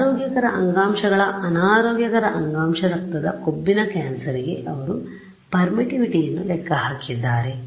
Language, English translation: Kannada, They have calculated permittivity for healthy tissue unhealthy tissue blood fat cancer all of this thing is tabulated